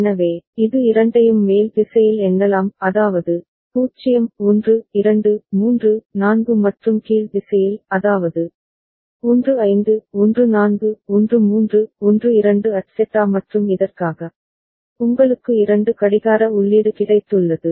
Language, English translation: Tamil, So, it can count both in the up direction; that means, 0 1 2 3 4 and also in the down direction; that means, 15 14 13 12 etcetera and for this, you have got two clock input right